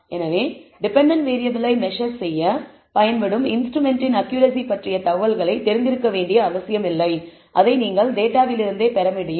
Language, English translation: Tamil, So, you do not need to be told the information about the accuracy of the instrument used to measure the dependent variable you can get it from the data itself